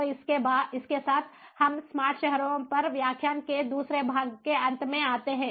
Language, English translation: Hindi, so with this we come to an end of the second part of the lecture on ah, on smart cities